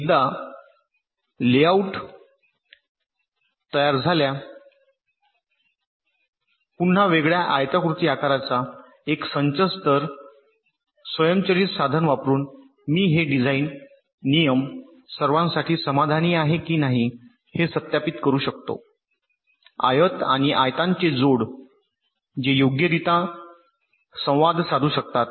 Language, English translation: Marathi, so once the layout is created, which means again a set of rectangular shapes on the different layers, so using an automated tool, i can verify whether this design rules are satisfied for all the rectangles and the pairs of rectangles which can interact right